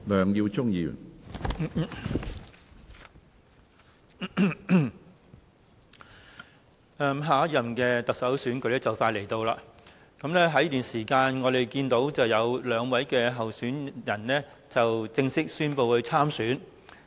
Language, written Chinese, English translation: Cantonese, 主席，下一任特首選舉即將到來，在這段時間，有兩位人士已正式宣布會參選。, President the next Chief Executive Election is fast approaching and so far two persons have formally announced their decisions to run in the election